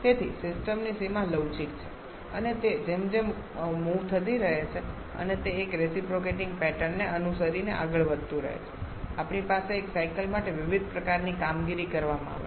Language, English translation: Gujarati, So, the boundary of the system is flexible it is movable and as that keeps on moving following a reciprocating pattern we have different kinds of operations done for a cycle